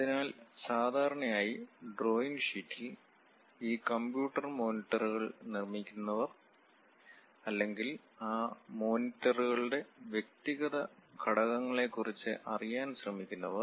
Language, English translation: Malayalam, So, for that purpose, usually on drawing sheets, whoever so manufacturing these computer monitors or perhaps trying to know about the individual components of that monitors